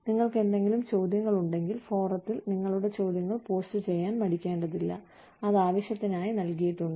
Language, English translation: Malayalam, If you have any questions, please feel free to post your questions, on the forum, that has been provided, for the purpose